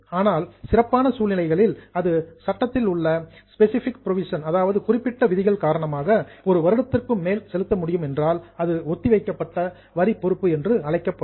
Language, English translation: Tamil, So, normally the tax liability should be paid within one year, but under special circumstances or because of some specific provision in the law, if it can be paid after more than one year, it will be called as a deferred tax liability